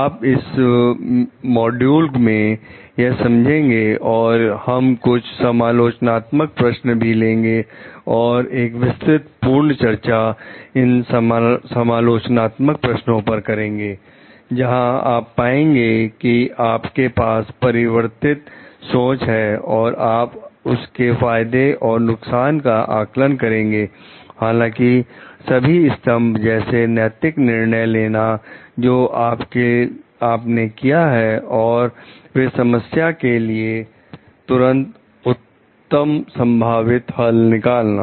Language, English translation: Hindi, So, you understand like you can understand like this in this module, we are going to take up some critical questions and do a detailed discussions of those critical questions, where do you find that you have to reflectively think of the issues and go for the maybe pros and cons analysis through, all the pillars of like ethical decision making that you have and then come to a best possible solution for the problem at hand